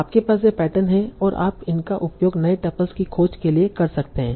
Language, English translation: Hindi, So, so now you have these patterns and you use these to search for new tuples